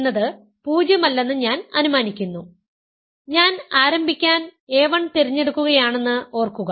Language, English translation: Malayalam, So, I am assuming a 1 is not 0, remember I am choosing a 1 to begin with